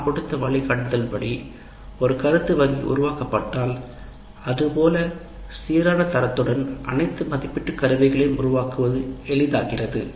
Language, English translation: Tamil, If an item bank is created as per the guidelines that we have given in design phase, it becomes easier to create all assessment instruments of uniform quality